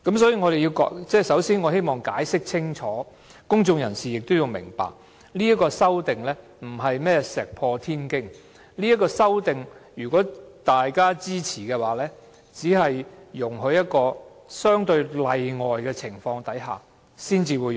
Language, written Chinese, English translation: Cantonese, 首先，我希望清楚解釋一點，而公眾人士亦有需要明白，這項修正案並非石破天驚的做法，如果大家支持這項修正案，也只是容許在相對例外的情況下引用。, First I would like to explain one point clearly which I think the public also needs to understand that is this amendment is not about a groundbreaking practice and if the amendment is supported by Members it can only be invoked under relatively exceptional circumstances